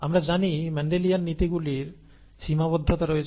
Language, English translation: Bengali, The Mendelian principles as we know have limitations